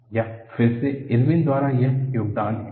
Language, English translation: Hindi, This is again, the contribution by Irwin